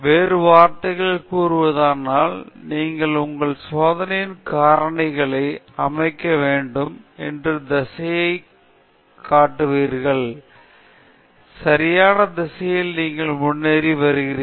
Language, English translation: Tamil, In other words, it points to the direction where you should set your experimental factors, so that you are progressing in the correct direction okay